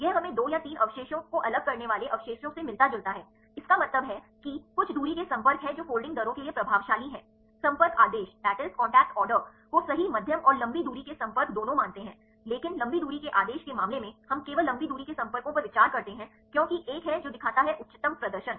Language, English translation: Hindi, This is similar to what we get from the residues separation 2 or 3 residues; that means, there are some distance contacts which are influential for the folding rates right the contact order considers both short medium and long range contacts, but in the case of long range order we consider only the long range contacts because there is one which shows the highest performance